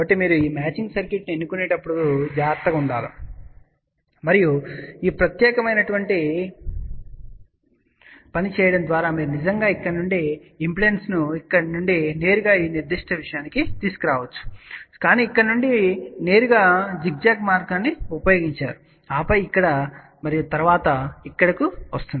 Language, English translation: Telugu, So, you have to be careful when you are choosing these matching circuit and by doing this particular thing, you have actually brought the load impedance from here to this particular thing not directly from here to here, but you have use the zigzag path from here, then here and then coming over here